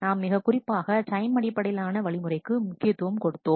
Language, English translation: Tamil, And we have specifically focused on time based strategies